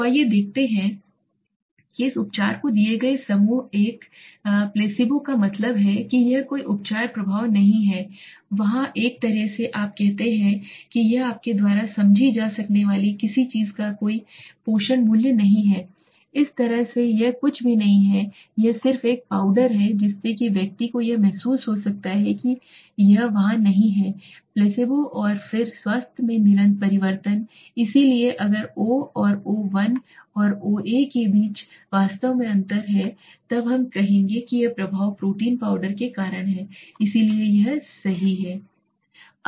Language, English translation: Hindi, So let us see this treatment given group 1 placebo that mean it is a does not any treatment effect that there is a kind of you say it has no value nutritional value of something you can understand that way it is nothing it is just a powder so which the person might feel it is there are not there placebo and then the change in health so if there is really differences between o and a O1 and Oa then we will say that this effect is because of this for protein powder so that is what it does right